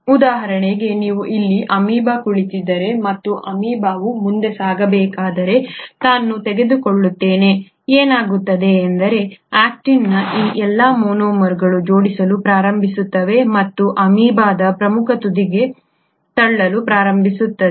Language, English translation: Kannada, Let me take for example if you have an amoeba sitting here, and the amoeba needs to move forward, what will happen is all these monomers of actin will then start arranging and start pushing towards the leading edge of the amoeba